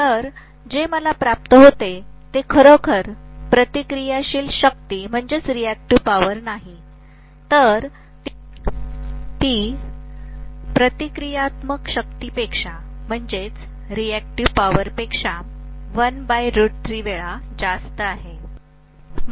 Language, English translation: Marathi, So what I get is not really the reactive power, it is 1 by root 3 times the reactive power